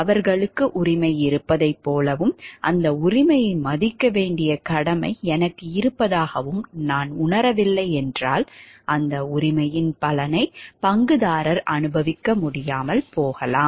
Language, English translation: Tamil, If I do not realize like they have a right and I do have a corresponding duty to respect that right, then maybe the stakeholder will not be able to enjoy the fruits of that right